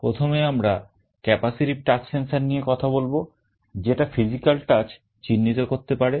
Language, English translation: Bengali, First let us talk about capacitive touch sensor that can detect physical touch